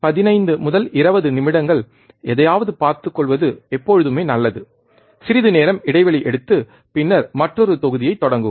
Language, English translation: Tamil, And there it is always good that you look at something for 15 to 20 minutes take a break, and then start another module